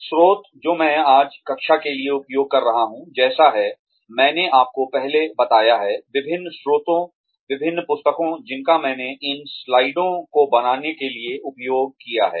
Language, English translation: Hindi, Sources, that I will be using, for the class today, are like, I have told you earlier, various sources, various books, that I have used, for making these slides